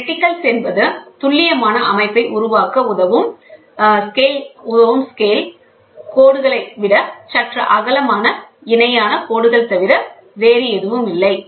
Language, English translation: Tamil, Reticles are nothing but parallel lines spaced slightly wider than scale lines enabling precise setting to be made